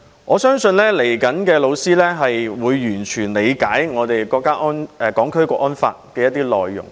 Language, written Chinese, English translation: Cantonese, 我相信將來的老師會完全理解《香港國安法》的內容。, I believe all the prospective teachers will fully understand the National Security Law